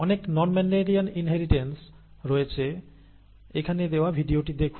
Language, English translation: Bengali, There are a lot of non Mendelian inheritances, please check out the video that is given here